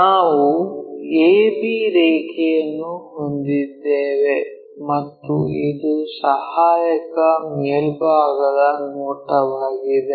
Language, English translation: Kannada, So, we have a line a b line and this is auxiliary top view